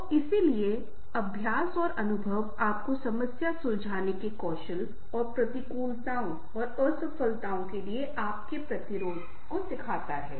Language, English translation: Hindi, so therefore, practice and experience teach you the new, the problem solving skills and your existence to adversities and failures